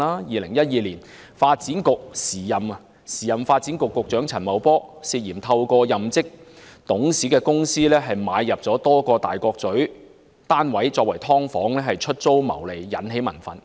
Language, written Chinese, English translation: Cantonese, 2012年，時任發展局局長陳茂波涉嫌透過任職董事的公司購入多個位於大角咀的單位用作"劏房"出租牟利，因而引起民憤。, In 2012 Paul CHAN the then Secretary for Development was alleged to have purchased a number of flats in Tai Kok Tsui through a company in which he served as a director for letting out as subdivided units to make profits